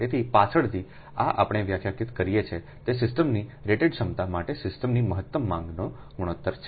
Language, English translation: Gujarati, so later, ah, this this is we define, that is the ratio of the maximum demand of a system to the rated capacity of the system